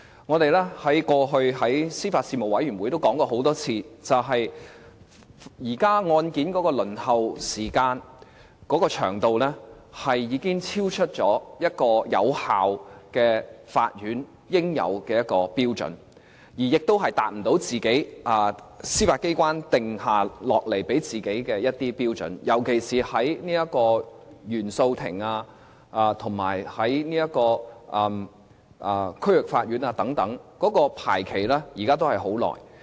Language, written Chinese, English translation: Cantonese, 我們過去在司法及法律事務委員會都討論過很多次，現在案件的輪候時間已經超出有效法院應有的一個標準，亦達不到司法機關給自己訂下的一些標準，特別是在原訴庭以及區域法院等，現在排期時間都是很長的。, We have discussed this matter time and again during the meetings of the Panel and found the waiting time for cases to be heard having exceeded the standard appropriate for an effective court and failed to meet some of the yardsticks set for itself by the Judiciary . This situation is particularly true at the Court of First Instance and the District Courts where the waiting time for cases to be heard is very long